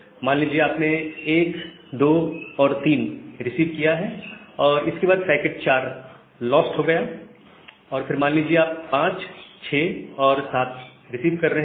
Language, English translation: Hindi, So, what may happen, say you have received 1, 2, 3, then you have lost packet 4, and you are receiving 5, 6, 7